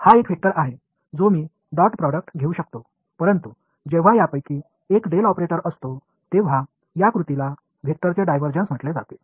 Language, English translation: Marathi, So, this is a vector I can take the dot product, but when one of these guys is the del operator this act is called the divergence of the vector